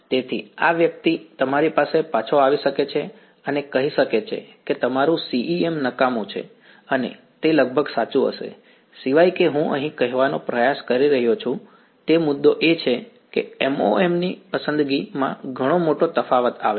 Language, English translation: Gujarati, So, this person may come back at you and say your CEM is useless right and will almost be correct except that, as I am the point I am trying to make here is that the choice of MoM makes a huge difference right